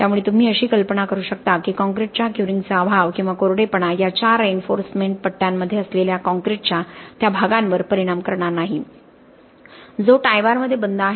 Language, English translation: Marathi, So you can imagine that the lack of curing or the drying of the concrete is not really going to impact that part of the concrete which is within these four longitudinal bars that is which is encased within the tie bars